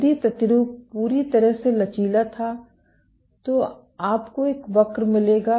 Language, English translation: Hindi, If the sample was perfectly elastic you would get a curve